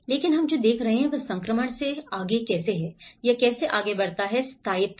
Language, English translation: Hindi, But what we are seeing is the, how the from the transition onwards, how it moves on to the permanency